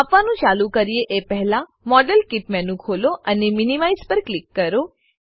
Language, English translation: Gujarati, Before we measure, open the modelkit menu and click on minimize